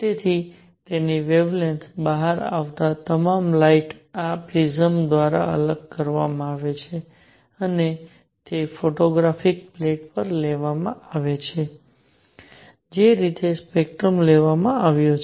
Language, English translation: Gujarati, So, all the light that is coming out its wavelengths are separated by this prism and that is taken on a photographic plate that is how a spectrum is taken